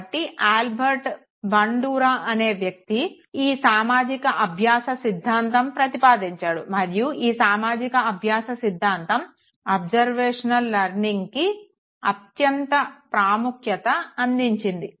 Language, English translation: Telugu, Now Albert Bandura was the man who proposed the social learning theory and the social learning theory has no given utmost importance to observational learning